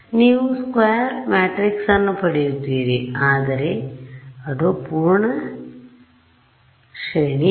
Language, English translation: Kannada, Right you will get a square matrix, but it is not full rank